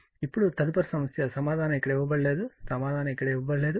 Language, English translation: Telugu, So, now, next problem is example answer is not given here answer is not given here